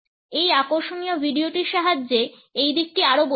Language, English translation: Bengali, This aspect can be further understood with the help of this interesting video